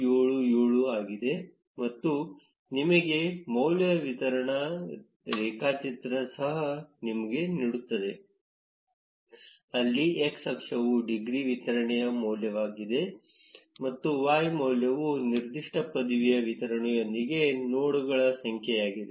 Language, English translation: Kannada, 577 and also give you a degree distribution graph where the x axis is the value of the degree distribution, and the y value is the number of nodes with that particular degree distribution